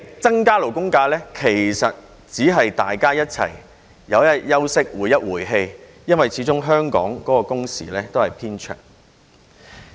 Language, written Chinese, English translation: Cantonese, 增加勞工假期只是讓大家有幾天休息、回氣，因為始終香港的工時偏長。, Increasing the number of labour holidays will only allow employers to have a few more days to rest and take a respite because the working hours in Hong Kong are rather long